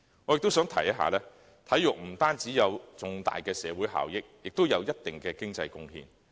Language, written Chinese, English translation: Cantonese, 我亦想指出，體育不單有重大社會效益，也有一定的經濟貢獻。, I would also like to point out that sports not only bring significant social benefits but also make economic contributions